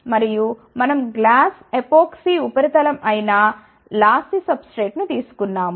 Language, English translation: Telugu, And, we have taken a lossy substrate which is a glass epoxy substrate ok